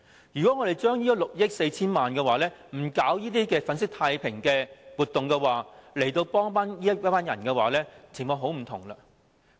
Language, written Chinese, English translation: Cantonese, 如果這6億 4,000 萬元不是用來搞這些粉飾太平的活動，而是用來幫助這群人，情況便很不同。, If this 640 million is used to help this group of people rather than holding these window dressing activities the situation will be quite different